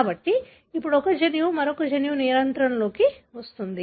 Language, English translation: Telugu, So, now one of the gene comes under the control of the other gene